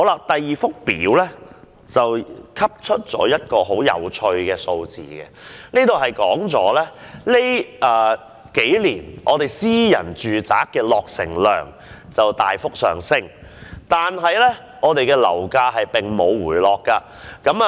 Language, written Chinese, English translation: Cantonese, 第二幅圖表可提供一些很有趣的數字，顯示本港近年的私營住宅落成量大幅上升，但樓價並無回落。, The second one is a table setting out some very interesting figures to illustrate that although the completion figures of private domestic flats in Hong Kong have increased drastically in recent years it has not resulted in a fall in property prices